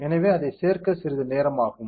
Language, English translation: Tamil, So, it will take some time to add it